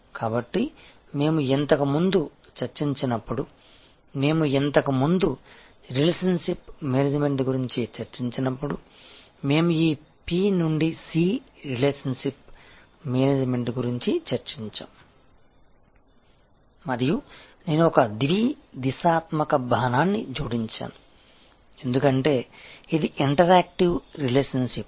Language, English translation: Telugu, So, far we have been discussing, when we earlier discussed about relationship management, we discussed about this P to C relationship management and I just added bidirectional arrow, because it is an interactive relationship